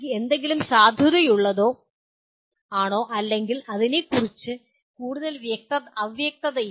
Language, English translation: Malayalam, There is not much of ambiguity about whether something is valid or not and so on